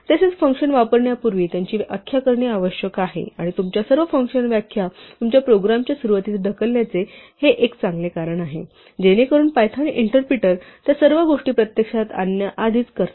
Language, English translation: Marathi, Also functions must be defined before they are used and this is a good reason to push all your function definitions to the beginning of your program, so that the Python interpreter will digest them all before there are actually invoked